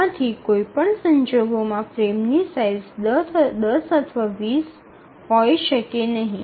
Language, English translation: Gujarati, So in none of these cases, so the frame size can be either 10 or 20